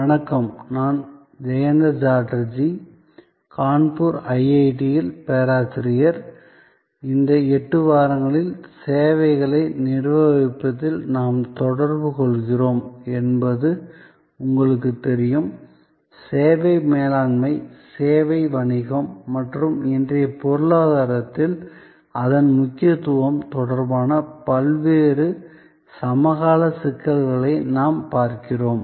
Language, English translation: Tamil, Hello, I am Jayanta Chatterjee, Professor at IIT, Kanpur and as you know, we are interacting over these 8 weeks on Managing Services and we are looking at various contemporary issues relating to service management, service business and its importance in today's economy